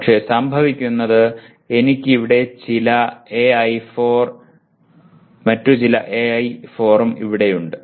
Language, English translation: Malayalam, But what happens is I have AI4 here and some AI4 also here